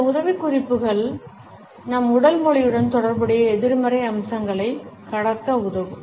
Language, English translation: Tamil, These tips may help us in overcoming the negative aspects related with our body language